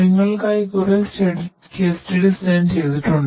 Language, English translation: Malayalam, So, there are different case studies that we have prepared for you